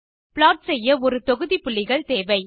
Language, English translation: Tamil, In order to Plot, we need a set of points